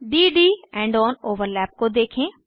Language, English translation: Hindi, Observe d d end on overlap